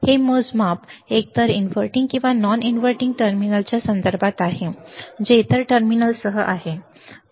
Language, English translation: Marathi, The measurement occurs with respect to either the inverting or non inverting terminal with the other terminal that is the ground, alright